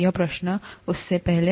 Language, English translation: Hindi, So this question, before that